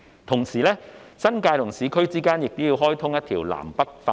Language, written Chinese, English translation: Cantonese, 同時，新界與市區之間亦要開通一條南北快綫。, At the same time a north - south express railway should be developed for connecting the New Territories and the urban areas